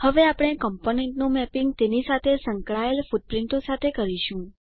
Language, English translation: Gujarati, Now we will map the components with their associated footprints